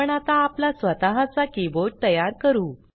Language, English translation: Marathi, We shall now create our own keyboard